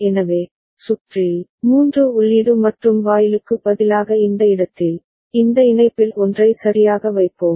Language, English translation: Tamil, So, in the circuit, in this place instead of 3 input AND gate, we shall put one of this connection right